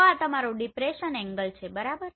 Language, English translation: Gujarati, So this is your depression angle right